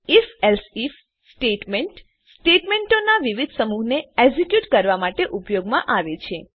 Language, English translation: Gujarati, If…Else If statement is used to execute various set of statements